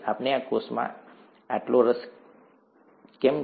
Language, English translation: Gujarati, Why are we so interested in this cell